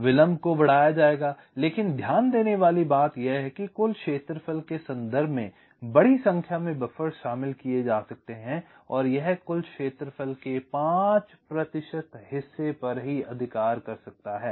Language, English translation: Hindi, but the point to note is that in terms of the total area, there can be a large number of buffers are introduced and it can occupy as much as five percent of the total area